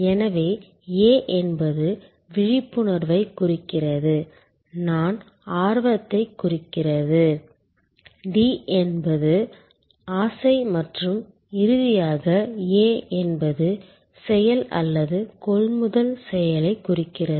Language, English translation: Tamil, So, there A stands for Awareness, I stands for Interest, D stands for Desire and finally, A stands for Action or the purchase action